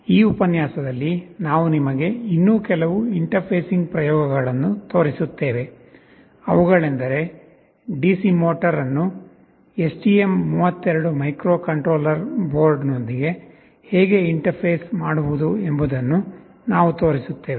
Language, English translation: Kannada, In this lecture, we shall be showing you some more interfacing experiments; namely we shall be showing how to interface a DC motor with the STM32 microcontroller board